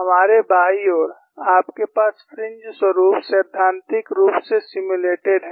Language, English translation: Hindi, On our left side, you have the fringe patterns theoretically simulated